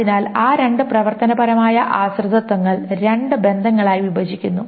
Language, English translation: Malayalam, So those two functional dependencies are broken into two relations